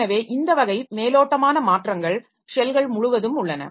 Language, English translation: Tamil, So this type of of cosmetic changes are there across the shells